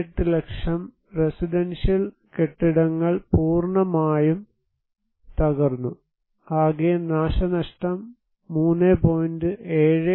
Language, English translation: Malayalam, 28 lakh residential buildings were fully damaged or collapsed, total damage was 3